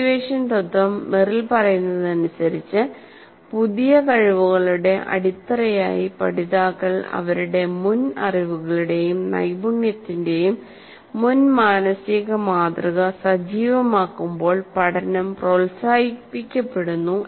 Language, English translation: Malayalam, The activation principle, as Merrill states that learning is promoted when learners activate a prior mental model of their prior knowledge and skill as foundation for new skills